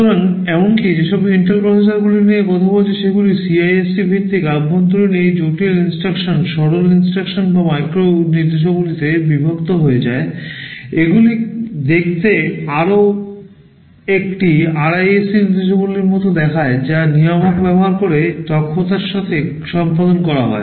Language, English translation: Bengali, So, even the Intel processors I am talking about those are based on CISC; internally these complex instructions are broken up into simpler instructions or micro instructions, they look more like a RISC instruction set, which are then executed efficiently using a controller